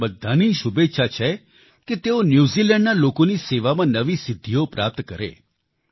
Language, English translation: Gujarati, All of us wish he attains newer achievements in the service of the people of New Zealand